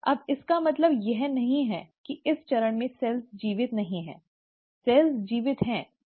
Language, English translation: Hindi, Now it doesn't mean that in this phase the cells are not living, the cells are living